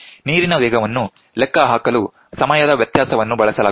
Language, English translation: Kannada, The time difference is used to calculate the water speed